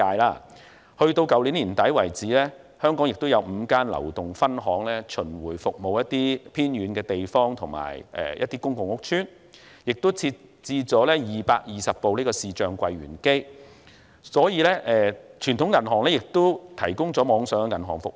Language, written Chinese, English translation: Cantonese, 截至去年年底，香港有5間流動分行巡迴服務一些偏遠地方和一些公共屋邨，銀行並設置了220部視像櫃員機；傳統銀行亦同時提供網上銀行服務。, As at the end of last year five mobile branches were providing roving service to remote areas and certain public housing estates in Hong Kong alongside 220 video teller machines installed in the territory . Meanwhile conventional banks also offer online banking services